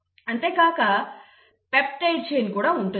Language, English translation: Telugu, Now you have got a peptide chain